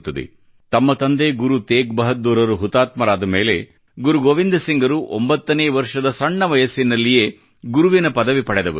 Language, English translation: Kannada, After the martyrdom of his father Shri Guru TeghBahadurji, Guru Gobind Singh Ji attained the hallowed position of the Guru at a tender ageof nine years